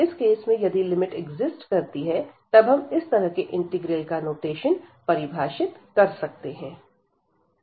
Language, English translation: Hindi, And in that case if this limit exist, we define this by such integral notation